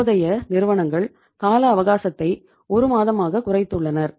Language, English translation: Tamil, Some companies have reduced the time horizon now to 1 month